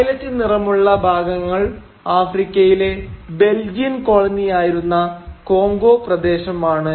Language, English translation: Malayalam, And, of course, this portion marked in violet is the Congo region which was the Belgian colony in Africa